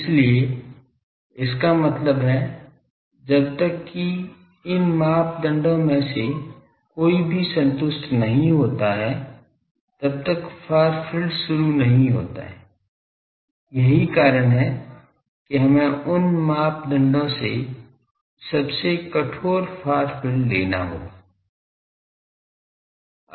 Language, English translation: Hindi, So; that means, unless and until any of these criteria is not satisfied the far field does not start, that is why we will have to take the most stringent far field from these criteria